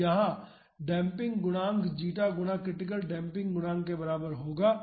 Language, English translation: Hindi, So, the damping coefficient will be equal to zeta critical damping coefficient